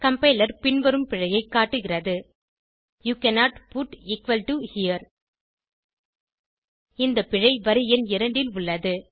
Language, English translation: Tamil, Complier shows the following error, you cannot put = here This error is in line number 2